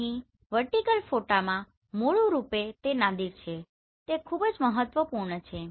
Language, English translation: Gujarati, So here in vertical photos basically it is Nadir looking this is very important